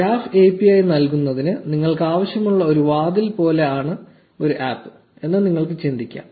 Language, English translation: Malayalam, You can think of an app as a door that you need in order to enter the graph API